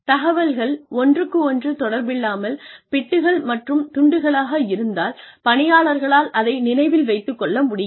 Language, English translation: Tamil, If the information is in bits and pieces, that are not connected to each other, then people will not be able to remember it